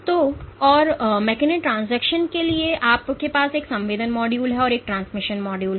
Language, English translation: Hindi, So, and for mechanotransduction to occur you have a sensing module and a transmission module